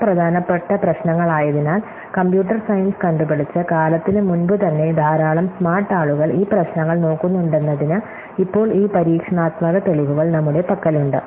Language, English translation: Malayalam, Now, we have this experimental evidence that since these are important problem are large number of smart people have been looking at this problems from even before the time that computer science was invented